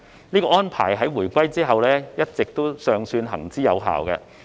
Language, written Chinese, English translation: Cantonese, 這種安排在回歸後一直尚算行之有效。, This arrangement had largely worked well after the return of sovereignty